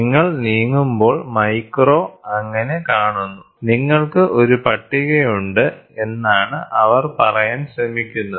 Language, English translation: Malayalam, So, that as and when you move you see the micro so, what they are trying to say is, you have a table